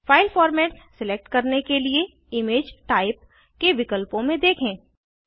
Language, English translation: Hindi, To select the file format, scroll down the options on the Image Type